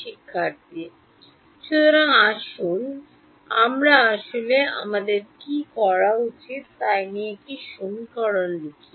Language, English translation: Bengali, So, let us write actually what we should we do is write down the equation